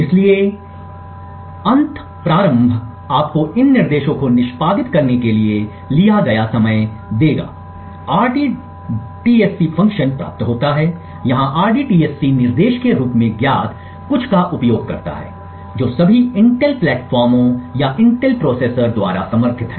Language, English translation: Hindi, Therefore, the end start would give you the time taken to execute these instructions, rdtsc function are received over here uses something known as the rdtsc instruction which is supported by all Intel platforms or Intel processors